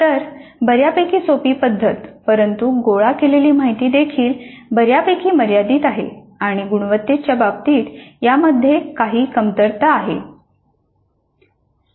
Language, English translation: Marathi, So fairly simple method but the information gathered is also quite limited and it has certain weaknesses with respect to closing the quality loop